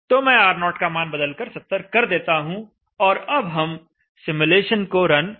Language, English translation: Hindi, So let me alter the value of R0 to 70 and let me run the simulation